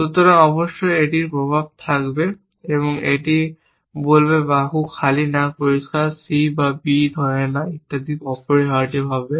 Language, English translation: Bengali, So, of course it will have its effects, it will say arm empty not clear C and not holding B and so on essentially